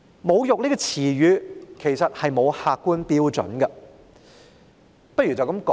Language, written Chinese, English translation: Cantonese, "侮辱"一詞其實沒有客觀標準。, In fact there is no objective standard for the term insult